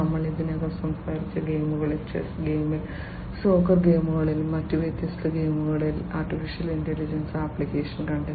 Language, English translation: Malayalam, In games we have already talked about, in chess game, in soccer games, in different other games, right, AI has found applications